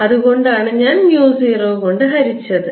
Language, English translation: Malayalam, that's why i divided by h ah, mu zero